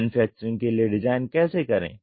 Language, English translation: Hindi, How to perform design for manufacturing